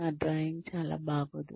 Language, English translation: Telugu, My drawing is pretty bad